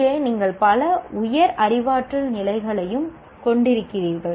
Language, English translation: Tamil, Here also you have multiple higher cognitive levels